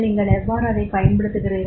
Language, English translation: Tamil, How do you use